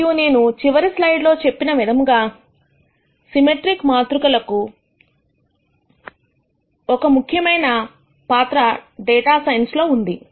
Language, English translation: Telugu, And as I mentioned in the last slide, Symmetric matrices have a very important role in data sciences